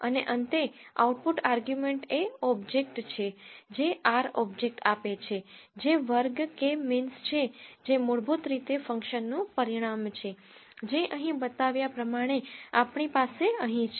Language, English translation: Gujarati, And finally the output argument is object which retains an R object which is of class K means that is basically is a result of a function which is as shown here